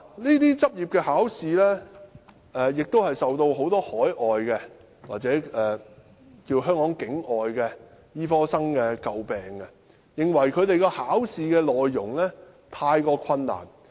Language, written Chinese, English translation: Cantonese, 這些執業考試受到很多海外或香港境外醫科學生詬病，認為考試的內容太難。, These licensing examinations are criticized by many medical students overseas and outside Hong Kong for being too difficult